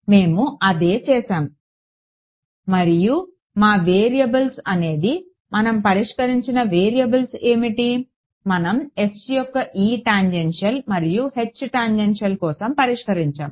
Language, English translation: Telugu, That is what we did and our variables were the variables that we solved that we solved for the E tangential and H tangential on S right